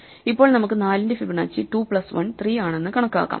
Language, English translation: Malayalam, Now, we can compute Fibonacci of 4 is 2 plus 1 3